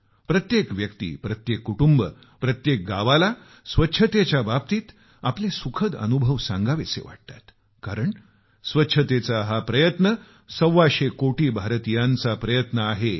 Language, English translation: Marathi, Every person, every family, every village wants to narrate their pleasant experiences in relation to the cleanliness mission, because behind this effort of cleanliness is the effort of 125 crore Indians